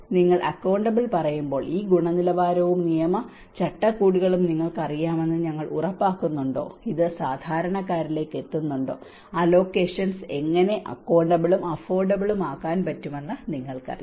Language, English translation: Malayalam, The third aspect is accountable when you say accountable whether we are making sure that you know this quality and legal frameworks are making sure that it is reaching to the common man, you know how the allocations are being accountable, affordable